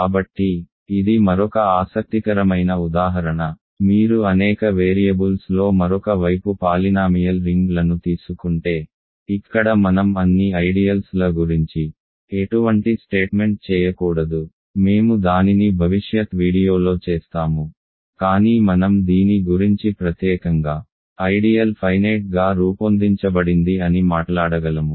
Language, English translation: Telugu, So, this is another interesting example, if you take on, other hand polynomial rings in several variables, here we cannot, let us make any statement about all ideals, we will do that in a future video, but I can talk about this particular ideal is finitely generated ok